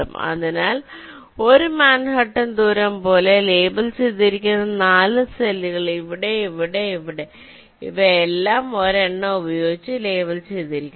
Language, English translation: Malayalam, so the four cells which are labeled, which are like a manhattan distance of one, are here, here, here and here they are all labeled with one